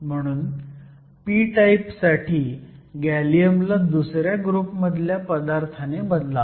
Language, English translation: Marathi, If you want make something p type, we can replace gallium by group two